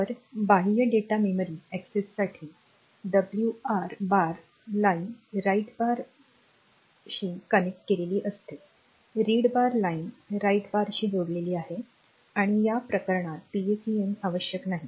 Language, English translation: Marathi, So, for external data memory access, this is the thing that is a WR bar line is connected to write bar read bar line is connected to read bar PSEN bar